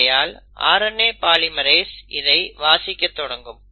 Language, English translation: Tamil, So the RNA polymerase will then start reading this